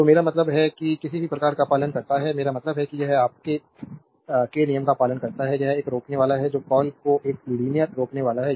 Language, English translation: Hindi, So, I mean any devices obeys, I mean a it obeys your Ohm’s law, that is a resistor that that is a call a linear resistor